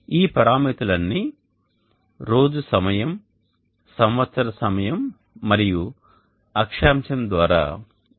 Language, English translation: Telugu, All these parameters are determinable knowing the time of the day, time of the year and the latitude